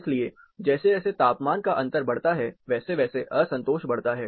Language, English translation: Hindi, So, the dissatisfaction goes up, as this temperature differences increases